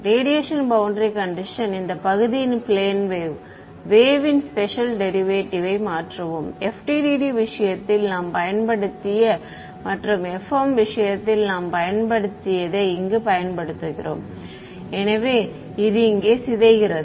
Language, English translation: Tamil, The radiation boundary condition, where we replace this partial the special derivative by the plane wave thing the; what we have we use in the case of FEM we use in the case of FDTD right, so, decays over here